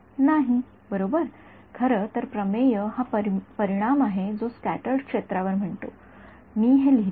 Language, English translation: Marathi, No, right so, in fact the theorem is result which says at the scattered fields let me I should write this